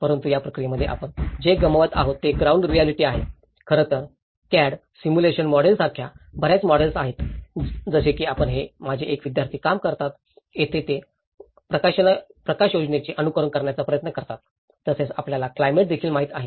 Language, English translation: Marathi, But in this process, what we are missing is the ground realities, in fact, there are many models like CAD simulation model, like this is one of my students work where they try to simulate the lighting aspects and as well as you know the climatic aspects of it